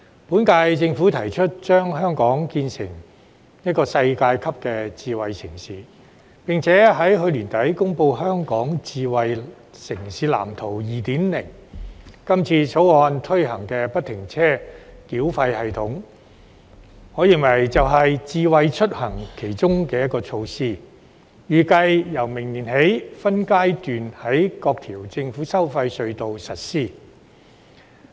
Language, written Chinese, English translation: Cantonese, 本屆政府提出將香港建設成為一個世界級的智慧城市，並且在去年年底公布《香港智慧城市藍圖 2.0》，今次《條例草案》推行的不停車繳費系統，我認為是其中一項"智慧出行"措施，這系統預計由明年起分階段在各條政府收費隧道實施。, The current - term Government has put forward the idea of developing Hong Kong into a world - class smart city and subsequently announced the Smart City Blueprint for Hong Kong 2.0 at the end of last year . I think that the implementation of the free - flow tolling system FFTS under this Bill is one of the Smart Mobility initiatives . It is expected that this system will be implemented at various government tolled tunnels by phases starting next year